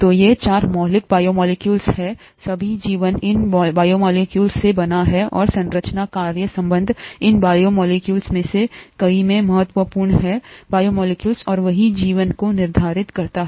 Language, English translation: Hindi, So these are the 4 fundamental biomolecules, all life is made out of these biomolecules and the structure function relationship is important in these biomolecules, many of these biomolecules, and that is what determines life itself